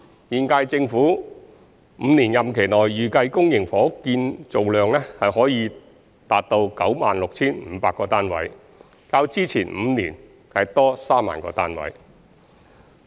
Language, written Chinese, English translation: Cantonese, 現屆政府5年任期內，預計公營房屋建造量可達到 96,500 個單位，較之前5年多3萬個單位。, Public housing production in the five - year tenure of the current - term Government is expected to reach 96 500 units which is 30 000 units more than the previous five - year period